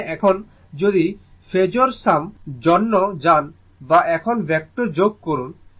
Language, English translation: Bengali, That means, now if you go for phasor sum or now you do vector sum